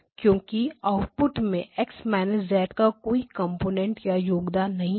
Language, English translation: Hindi, Why because there is no component or contribution of X of minus Z in the out